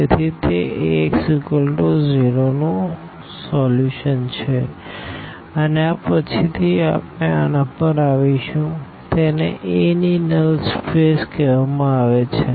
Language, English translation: Gujarati, So, that is exactly the solution of Ax is equal to 0 and this later on we will come to this, this is called the null space of a